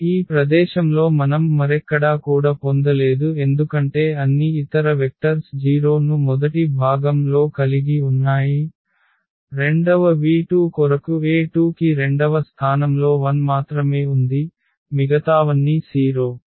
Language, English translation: Telugu, And no where else we will get anything at this place because all other vectors have 0 as first component; for the second v 2 only the e 2 has 1 at the second place all others are 0